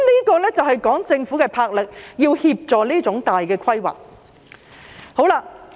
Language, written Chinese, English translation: Cantonese, 這就是政府的魄力，要協助這種大型的規劃。, This reflects the governments courage to assist in such large - scale planning